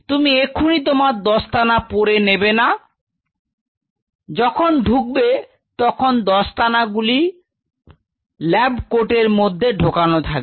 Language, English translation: Bengali, Do not put on the gloves as your entering first of all keeps the gloves in the lab coat